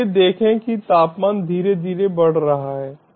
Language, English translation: Hindi, so see, the temperature is slowly increasing